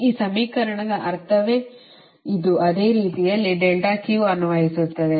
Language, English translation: Kannada, so that means this is the meaning of this equation